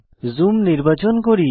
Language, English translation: Bengali, Lets select Zoom option